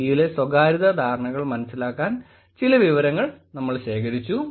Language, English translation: Malayalam, There was some data collected to understand the privacy perceptions in India